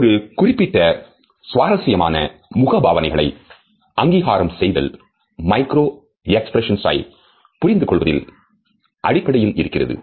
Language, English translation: Tamil, A particular interesting aspect of the recognition of facial expressions is based on our understanding of what is known as micro expressions